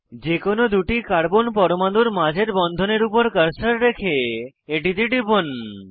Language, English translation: Bengali, Place the cursor on the bond between any two carbon atoms and click on it